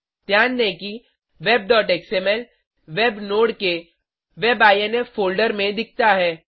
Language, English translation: Hindi, Note that web.xml is visible under the WEB INFfolder of the Web node